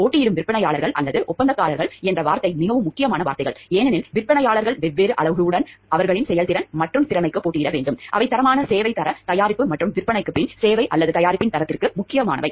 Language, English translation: Tamil, The word competing vendors or contractors these words are very important words because the vendors have to compete for with their levels of performance and proficiency with different parameters, which are important for a quality service, quality product and maybe after self service or the quality of the product